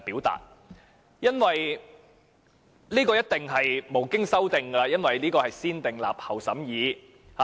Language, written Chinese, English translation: Cantonese, 這一定是無經修訂的，因為這是"先訂立後審議"的法案。, This must be subject to no amendment because this Bill is subject to negative vetting